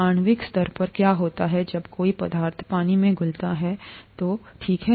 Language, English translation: Hindi, What happens at a molecular level when a substance dissolves in water, okay